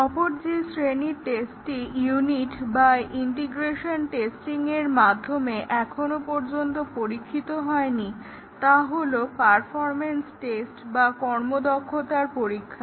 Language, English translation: Bengali, The other category of testing which are so far not been tested, neither in unit or integration testing are the performance tests